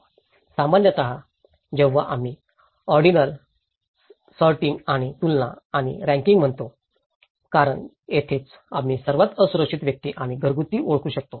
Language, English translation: Marathi, Ordinal; when we say ordinal, sorting and comparing and ranking because this is where we can identify the most vulnerable individuals and households